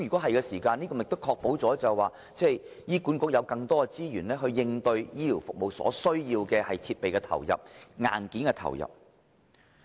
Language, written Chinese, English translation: Cantonese, 這樣便可以確保醫管局有更多資源應對醫療服務所需的設備或硬件。, In so doing there will be additional resources for HA to provide the necessary equipment or hardware for health care services